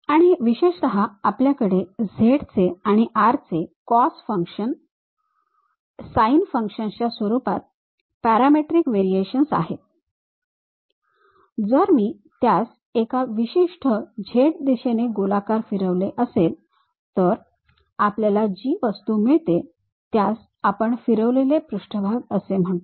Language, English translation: Marathi, And, especially we have some parametric variation r of z in terms of u in terms of cos functions sin functions if I am going to revolve as a circle along one particular z direction, we will get the object which we call revolved surfaces